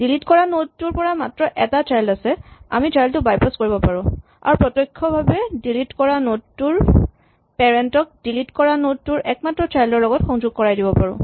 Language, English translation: Assamese, So, the deleted node has only one child we can bypass the child and directly connect the parent of the deleted node to the one child of the deleted node